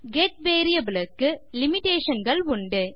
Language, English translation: Tamil, The get variable has limitations